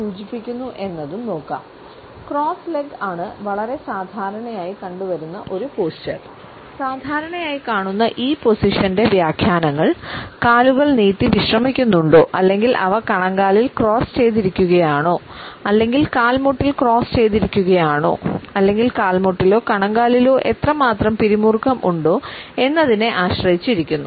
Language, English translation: Malayalam, Interpretations of this commonly come across position depend on whether the legs are out stretched and relaxed or they are crossed at the ankles or they are crossed at the knees or how much tension is perceptible in their knees or in the ankle process